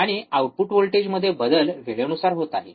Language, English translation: Marathi, And the change in output voltage is with respect to time